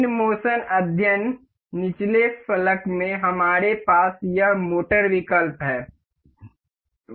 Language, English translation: Hindi, The in motion study, in the you know bottom pane, we have this motor option